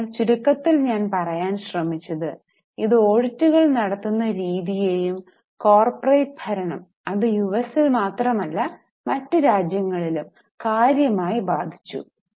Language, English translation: Malayalam, So I have tried to just in summary tell it it has significantly affected the way the audits are done, the way the corporate governance is done not only in US but also in other countries